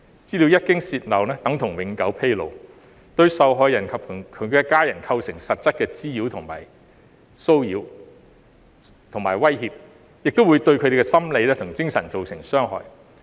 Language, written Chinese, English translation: Cantonese, 資料一經泄漏，等同永久披露，對受害人及其家人構成實質的滋擾、騷擾和威脅，亦會對他們的心理及精神造成傷害。, Once the data is leaked it is tantamount to permanent disclosure which will constitute substantive nuisance harassment and threats to the victims and their family members and cause psychological and mental harm to them as well